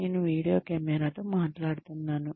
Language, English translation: Telugu, I am just talking to a video camera